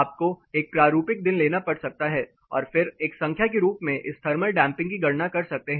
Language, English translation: Hindi, You may have to representative day and then calculate this thermal damping as a number